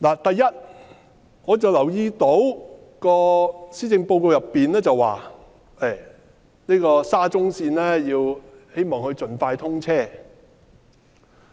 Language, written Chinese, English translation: Cantonese, 第一，我留意到施政報告說希望沙田至中環線盡快通車。, First I note that it was said in the Policy Address that the Shatin to Central Link SCL should be commissioned as soon as possible